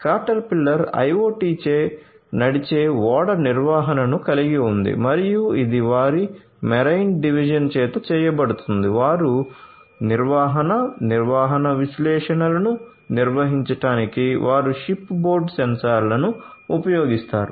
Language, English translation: Telugu, Caterpillar has the IoT driven ship maintenance and that is done by their marine division they use the ship board sensors to perform predictive maintenance analytics